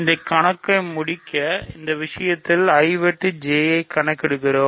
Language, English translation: Tamil, So now, let us compute I times J